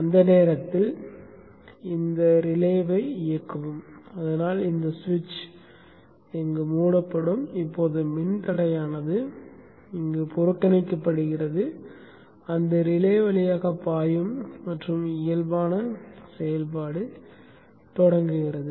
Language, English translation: Tamil, At that time energize this relay so the switch will be closed and now the resistance is bypassed, current will go through that relay and normal operation begins